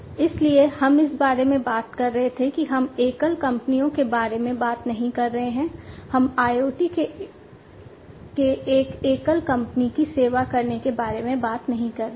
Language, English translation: Hindi, So, we were talking about that we are not talking about single companies, we are not talking about IoT serving a single company